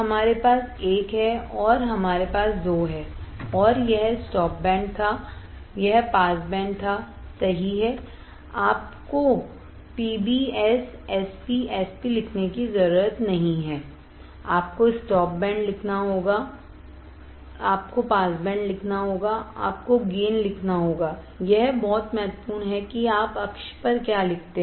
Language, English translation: Hindi, We have we had 1 and we had 2 and this was stop band, this was stop band this was pass band right you do not you do not have to write PBS SP S P you have to write stop band, you have to write pass band, you have to write gain, it is very important what you write on the axis